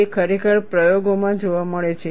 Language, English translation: Gujarati, It is indeed observed in experiments